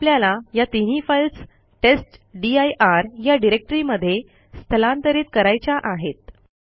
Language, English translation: Marathi, Now we want to move this three files to a directory called testdir